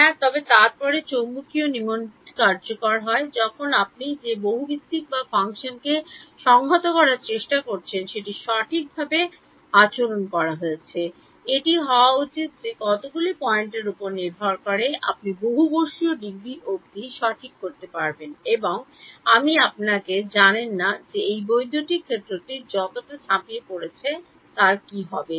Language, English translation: Bengali, Yeah, but then that works quadrature rule works when the polynomial or function that you are trying to integrate is well behaved right, it should be it will be accurate up to polynomial degree of so much depending on how many points and you do not know you do not know how jumpy this electric field is going to be